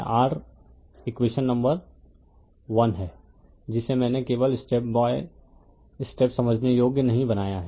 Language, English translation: Hindi, So, this is your equation number I did not put just make step by step understandable to you right